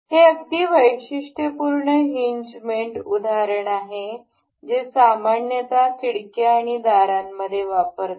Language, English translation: Marathi, This is a very typical hinge example that is used in generally in windows and doors